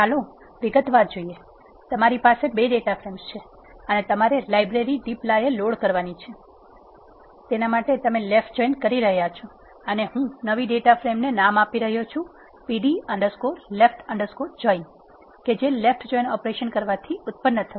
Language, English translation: Gujarati, Let us see in detail, you have 2 data frames you need to load the library dplyr and you are doing it, a left join and I am naming the new data frame, which is coming out with this left join operation as, pd underscore left underscore join 1